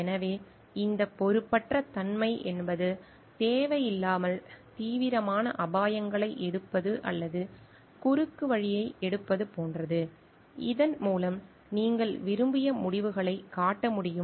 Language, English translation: Tamil, So, this recklessness means are taking unnecessarily serious risks or like taking shortcut, so that you can show desired results